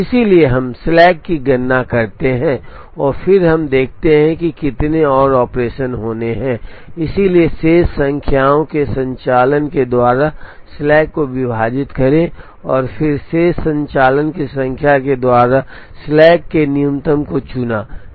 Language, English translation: Hindi, So, we compute the slack and then we see how many more operations are to go, so divide the slack by remaining number of operations, and then chose the minimum of slack by remaining number of operations